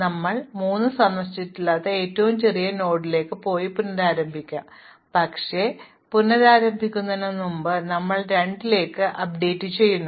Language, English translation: Malayalam, So, we go to the smallest node which is not visited namely 3 and restart, but before we restart we update comp to 2